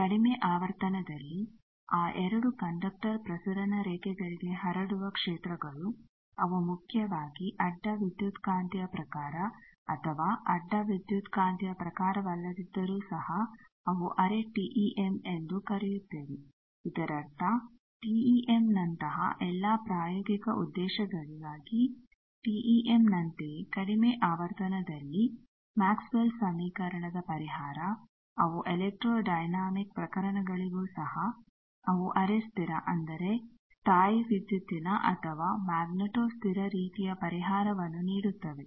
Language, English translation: Kannada, Also in low frequency the fields that are transmitted to those 2 conductor transmission lines they are mainly transverse electromagnetic type or even if not transverse electromagnetic type they are quasi TEM we call that means, almost like TEM for all practical purposes like TEM that is why the solution of Maxwell’s equation at lower frequency, they also for electrodynamic cases, also they are quasi static that means, something like electro static or magneto static type of solution